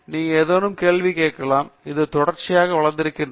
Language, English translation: Tamil, You can ask any questions and itÕs continuously developed